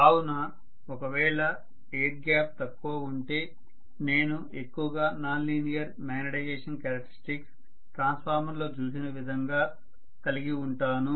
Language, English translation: Telugu, So if the air gap is smaller I am going to have highly non linear magnetization characteristics like what we saw in the case of transformer